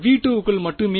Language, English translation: Tamil, Yeah only over v 2